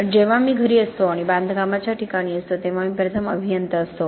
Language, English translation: Marathi, But when I am at home and I am on the construction site, I am an engineer first